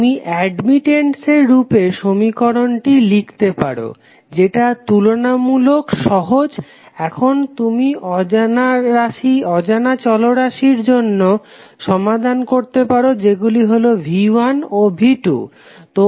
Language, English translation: Bengali, You can simply write the equation in the form of admittances and the now you have simpler equations you can solve it for unknown variables which are V 1 and V 2